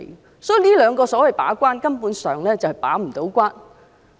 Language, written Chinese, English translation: Cantonese, 因此，這兩個所謂的"把關"，根本上不能把關。, Hence the two so - called gate - keeping arrangements can in no way serve such a function